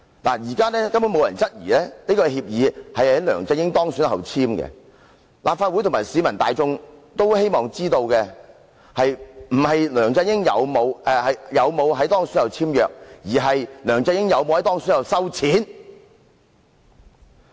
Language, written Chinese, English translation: Cantonese, 現時根本沒有人質疑協議是在梁振英當選後才簽訂，立法會和市民大眾希望知道的，不是梁振英有否在當選後簽約，而是梁振英有否在當選後收錢。, No one has ever questioned whether LEUNG Chun - ying signed the agreement after he was elected . The Legislative Council and the general public wanted to know whether LEUNG Chun - ying received the payment after he was elected but not whether he signed the agreement after he was elected